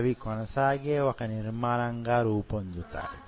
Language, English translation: Telugu, They become a continuous structure like this